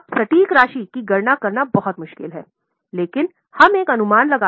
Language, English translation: Hindi, Now, it is very difficult to calculate the exact amount